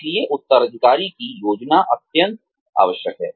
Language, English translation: Hindi, So, succession planning is absolutely essential